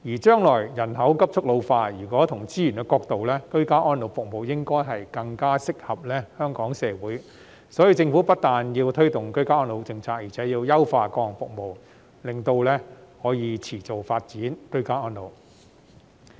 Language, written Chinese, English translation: Cantonese, 將來人口急速老化，從資源的角度來看，居家安老服務應該更適合香港社會，所以政府不但要推動居家安老政策，而且要優化各項服務，就可以持續發展居家安老。, In view of the rapid population ageing in the future ageing in place is probably more suitable for Hong Kongs society having regard to resources . Therefore the Government should not only promote the policy of ageing in place but should also enhance various services so as to develop ageing in place in a sustainable manner